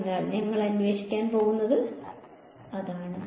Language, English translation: Malayalam, So, that is what we are going to investigate